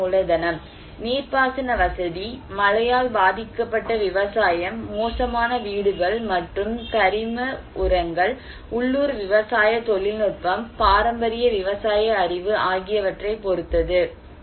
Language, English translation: Tamil, Physical capital: maybe no irrigation facility, depends on rain fed agriculture, poor housing, and organic fertilizers only, local farming technology, traditional agricultural knowledge